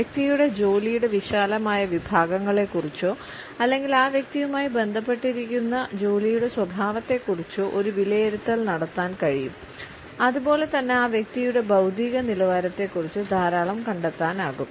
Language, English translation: Malayalam, We can also make a very shrewd guess in assessment of the broad categories of work or the nature of work with which that individual is associated, as well as we can find out a lot about the intellectual level of that person